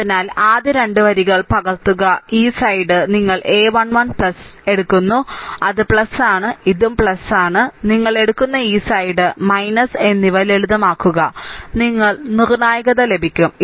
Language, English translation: Malayalam, So, just just copy the first 2 rows, and this side you take a 1 1 plus, it is plus, this is plus and this side you take minus, and just simplify you will get the determinant